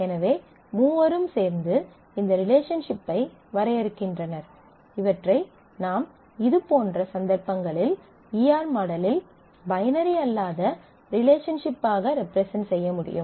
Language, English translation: Tamil, So, all three together define this relationship; so, in such cases it is possible in E R model that we can represent it conveniently as a non binary relationship